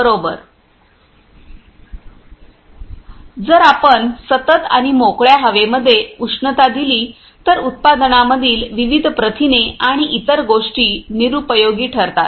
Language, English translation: Marathi, Right If we heat continuously and in an open air, then the products different protein and other things are denatured